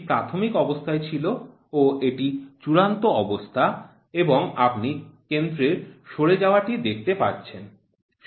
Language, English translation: Bengali, This was the initial one and this is the final one and you see drift in the center